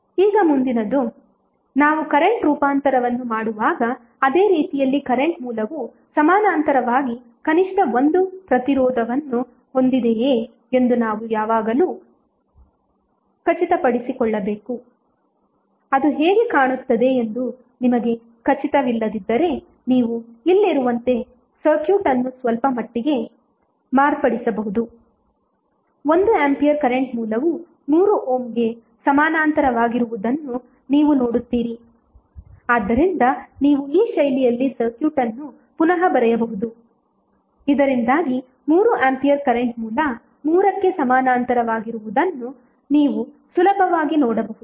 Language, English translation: Kannada, Now next is that in the similar way when we do current transformation we have to always be sure that the current source have at least one resistance in parallel, if you are not sure how it will be looking like you can modify the circuit slightly like here, you see 1 ampere current source is in parallel with 3 ohm so you can rewrite redraw the circuit in this fashion so, that you can easily see that there is 1 ampere current source in parallel with 3 ohm resistance so, when you are sure, then you can apply the source transformation and get the value